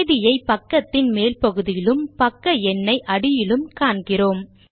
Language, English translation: Tamil, So we can see the Date at the top of the page and the page number at the bottom